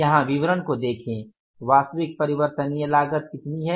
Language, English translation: Hindi, You total it up the total variable cost is how much